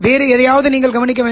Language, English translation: Tamil, You have to notice something else